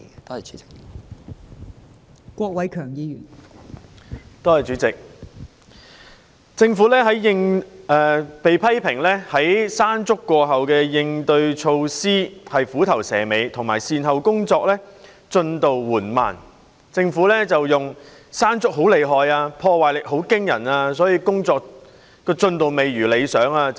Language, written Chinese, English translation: Cantonese, 代理主席，政府在"山竹"過後的應對措施被批評為虎頭蛇尾，並且善後工作進度緩慢，而政府則指"山竹"風勢強勁及破壞力驚人，致使工作進度未如理想。, Deputy President the countermeasures taken by the Government in the aftermath of Typhoon Mangkhut are criticized as measures ending up with a whimper rather than a bang and making slow progress in recovery efforts . Yet the Government said that it was the strong winds and astonishing destructive force of Mangkhut that made work progress unsatisfactory